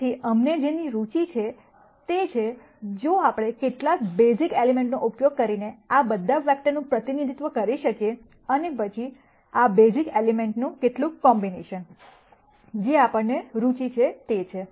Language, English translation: Gujarati, So, what we are interested in is, if we can represent all of these vectors using some basic elements and then some combination of these basic elements, is what we are interested in